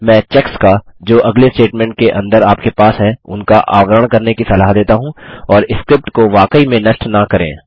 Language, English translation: Hindi, I recommend casing the checks that you already have inside the next statement and not really to kill the script